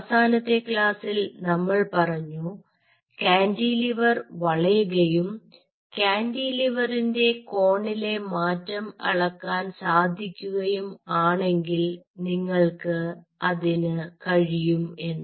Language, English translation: Malayalam, now, in the last class we talked about that if the cantilever bends and if you have a way to measure the change in the angle of the cantilever, then you can do so